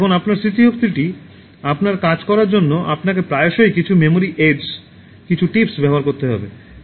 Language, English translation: Bengali, Now in order to make your memory work for you, often you need to use some memory aids, some tips so what could be the aids